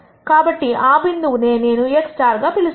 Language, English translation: Telugu, So, that point is what I am going to call as x star